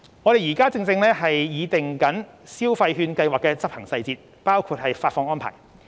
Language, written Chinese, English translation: Cantonese, 我們正擬訂消費券計劃的執行細節，包括發放安排。, We are working out the implementation details of the Scheme including the disbursement arrangement